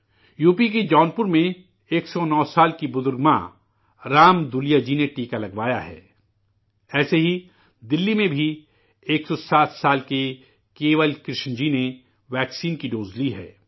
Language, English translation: Urdu, 109 year old elderly mother from Jaunpur UP, Ram Dulaiya ji has taken the vaccination; similarly 107 year old Kewal Krishna ji in Delhi has taken the dose of the vaccine